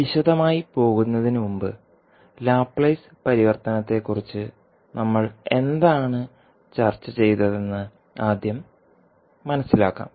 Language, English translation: Malayalam, So, let us start our discussion before going into the detail lets first understand what we discussed when we were discussing about the Laplace transform